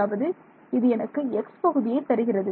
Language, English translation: Tamil, So, that will give me the x part